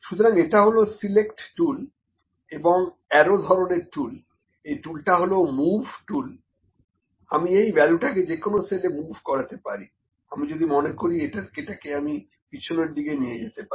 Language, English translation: Bengali, So, this is select tool and this is arrow type tool, this tool is the move tool, I can move it this value in any cell I like I will I will move it back